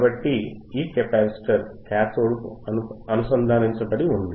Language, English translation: Telugu, So, this capacitor is connected to the cathode is connected to the cathode